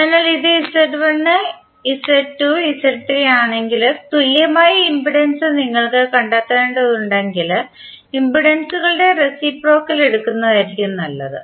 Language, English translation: Malayalam, So if it is Z1, Z2, Z3 the equivalent impedance if you have to find out it is better to take the reciprocal of impedances